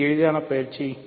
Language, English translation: Tamil, So, this is the very easy exercise